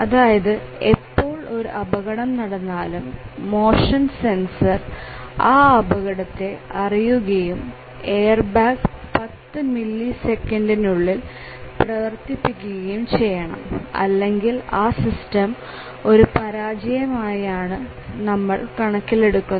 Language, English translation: Malayalam, So, whenever there is a automobile crash the motion sensors detect a collision and the system needs to respond by deploying the airbag within ten millisecond or less otherwise we will consider the system to have been failed